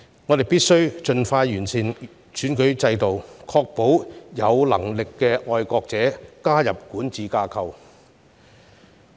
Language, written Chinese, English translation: Cantonese, 我們必須盡快完善選舉制度，確保有能力的愛國者加入管治架構。, We must expeditiously improve the electoral system in order to ensure that competent patriots will join the governing structure